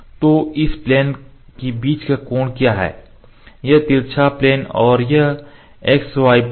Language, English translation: Hindi, So, what is the angle between the plane for between these two planes this slant plane and this x y plane